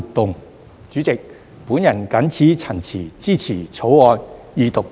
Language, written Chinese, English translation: Cantonese, 代理主席，我謹此陳辭，支持《條例草案》二讀及三讀。, With these remarks Deputy President I support the Second Reading and the Third Reading of the Bill